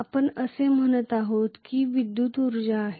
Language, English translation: Marathi, We are saying ok that is some electrical energy input